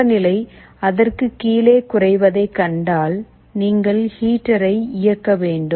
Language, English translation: Tamil, If you find that the temperature is falling below it, you should turn on the heater